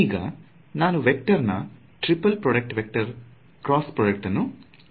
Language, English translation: Kannada, So, I am going to take the vector triple product vector cross product